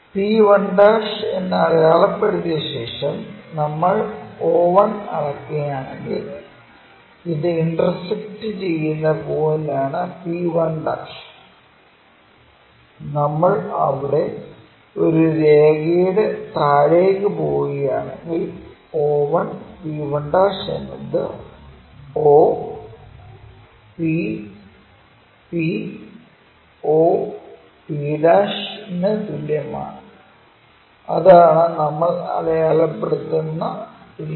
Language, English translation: Malayalam, After marking p1' if we measure o 1, this is the intersecting point p1' if we are dropping there by a line, o 1 p 1' is equal to o p p o p' that is the way we mark it